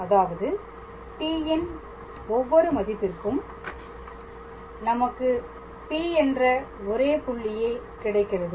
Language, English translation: Tamil, So that means, for every value of t we get a unique point P